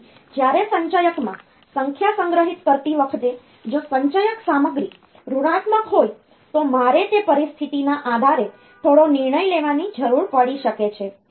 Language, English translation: Gujarati, So, when storing a number in the accumulator, if the accumulator content is negative, then I there may be some decision that I need to take based on that situation